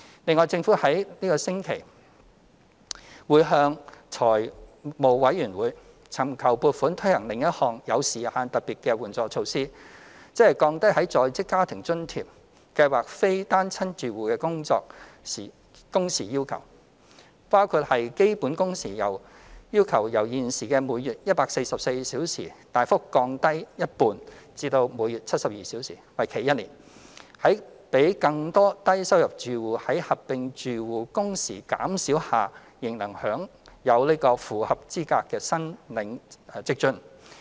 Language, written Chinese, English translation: Cantonese, 另外，政府會於本星期向立法會財務委員會尋求撥款推行另一項有時限特別援助措施，即降低在職家庭津貼計劃非單親住戶的工時要求，包括把基本工時要求由現時每月144小時大幅降低一半至每月72小時，為期1年，使更多低收入住戶在合併住戶工時減少下仍能符合資格申領職津。, Separately the Government will seek funding from the Finance Committee FC of the Legislative Council this week to implement another time - limited special assistance measure with a view to substantially reducing the working hour requirements of the Working Family Allowance WFA Scheme for non - single - parent households by half from 144 hours per month to 72 hours per month on a one - year basis so that low - income households with reduced aggregated monthly working hours will still be eligible for WFA